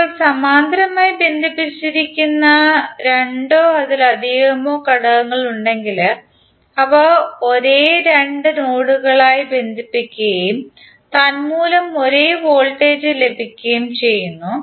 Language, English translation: Malayalam, Now if there are two or more elements which are connected in parallel then they are connected to same two nodes and consequently have the same voltage across them